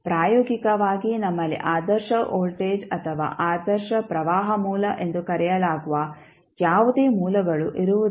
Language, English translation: Kannada, Practically, we do not have something called ideal voltage or ideal current source